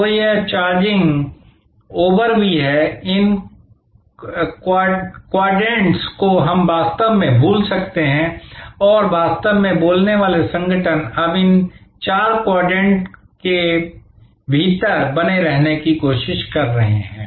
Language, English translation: Hindi, So, this is even this over charging, these quadrants we can actually forget and really speaking organizations are now trying to remain within these four quadrants